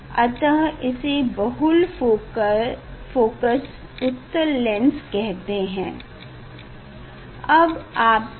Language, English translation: Hindi, that is why we tell is a multi convex lens